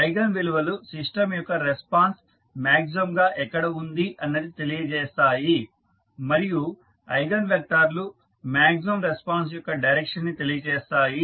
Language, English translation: Telugu, Now, eigenvalues provide where the response of the system is maximum and eigenvectors provide the direction of that maximum response